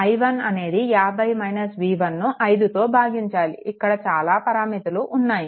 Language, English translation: Telugu, So, i 1 will be 50 minus v 1 by 5 look so many parameters are there